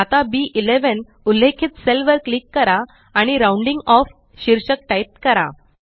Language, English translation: Marathi, Now, click on the cell referenced as B11 and type the heading ROUNDING OFF